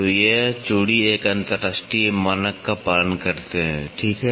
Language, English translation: Hindi, So, these threads follow an international standard, ok